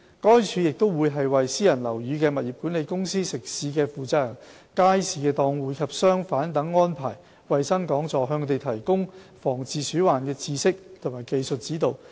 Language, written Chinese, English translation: Cantonese, 該署亦會為私人樓宇的物業管理公司、食肆負責人、街市檔戶及商販等安排衞生講座，向他們提供防治鼠患的知識及技術指導。, FEHD will also arrange health talks for building management offices of private buildings persons - in - charge of food premises and market and hawker stall operators to provide information and technical advice on rodent prevention and control